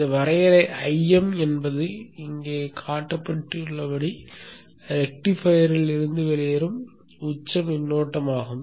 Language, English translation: Tamil, This definition IM is the peak current that is flowing out of the rectifier as shown here